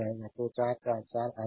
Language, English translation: Hindi, 44 will come